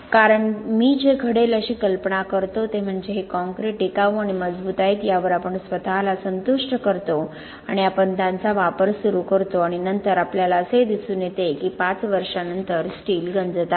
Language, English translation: Marathi, Because what I imagine would happen is that we satisfy ourselves that these concretes are durable and strong and we start using them and then we find that 5 years later the steel is corroding